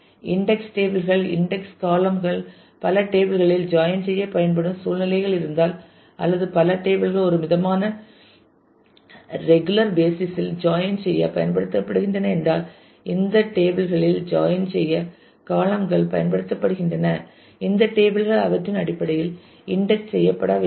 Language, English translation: Tamil, Index tables index columns used for joining multiple tables if you have situations or multiple tables are used in joins on a on a moderately regular basis then the columns are used in the join in these tables; these tables should be indexed based on those